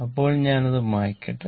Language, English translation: Malayalam, Let me clear it